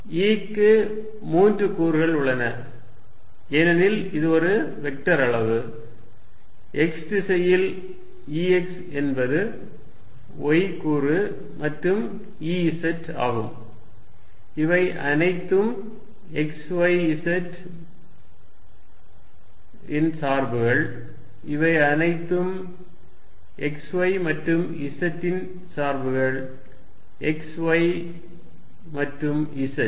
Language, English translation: Tamil, E has 3 components, because it is a vector quantity, we have E x in x direction is y component and E z and these are all functions of x, y and z, these are all functions of x, y and z, x, y and z